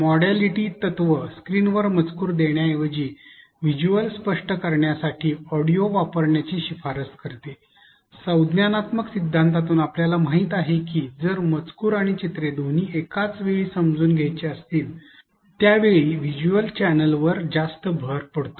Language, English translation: Marathi, Modality principle recommends the use of audio to explain visuals instead of on screen text, from the cognitive theory we know that if both text and pictures are to be understood then there is an overload of the visual channel